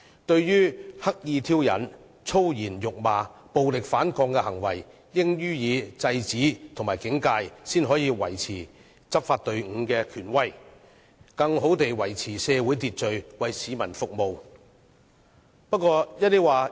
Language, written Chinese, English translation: Cantonese, 對於刻意挑釁、粗言辱罵和暴力反抗等行為，警方應該予以制止和警戒，才可以維持執法隊伍的權威，更好地維持社會秩序，為市民服務。, Regarding behaviours such as deliberate provocations abuses in vulgar languages and violent resistance the Police ought to stop such acts and stay alert to uphold their authority as a law enforcement force for maintaining social order and serving the community